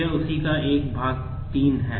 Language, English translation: Hindi, This is a part 3 of that